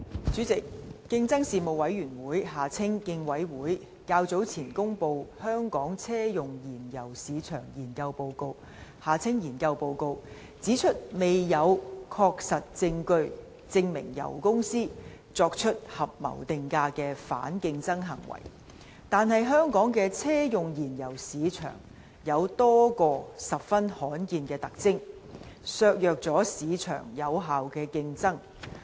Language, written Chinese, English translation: Cantonese, 主席，競爭事務委員會較早前公布《香港車用燃油市場研究報告》，指出未有確實證據證明油公司作出合謀定價的反競爭行為，但香港的車用燃油市場有多個十分罕見的特徵，削弱了市場的有效競爭。, President the Competition Commission has earlier on released a Report on Study into Hong Kongs Auto - fuel Market the Report which points out that while there is no hard evidence of oil companies engaging in the anti - competitive conduct of collusive price - fixing the auto - fuel market in Hong Kong has a number of highly unusual features that have undermined the effectiveness of competition in the market